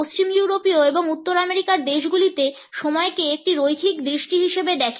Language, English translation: Bengali, The western European and North American countries few time as a linear vision